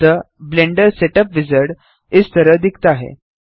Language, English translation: Hindi, So this is what the Blender Setup Wizard looks like